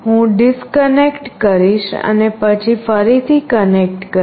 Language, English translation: Gujarati, I will disconnect and then again connect